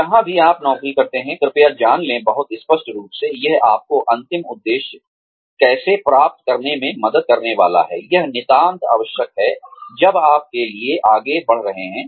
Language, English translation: Hindi, Wherever you take up a job, please know, very clearly, how it is going to help you achieve, the ultimate objective, that you are moving forward for